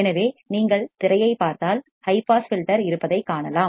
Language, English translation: Tamil, So, if you see the screen what you can find is that there is a high pass filter